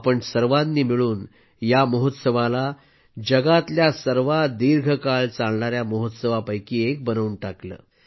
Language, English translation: Marathi, All of you together have made it one of the longest running festivals in the world